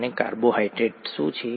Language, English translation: Gujarati, And what is a carbohydrate